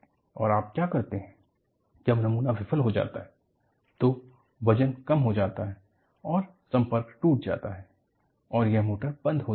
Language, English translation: Hindi, And, what you do is, when the specimen fails, the weights drop of and the contact is broken and this, switches of the motor